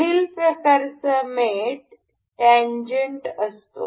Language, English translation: Marathi, Next kind of mate is tangent